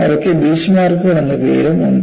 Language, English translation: Malayalam, Now, we move on to, what are known as Beachmarks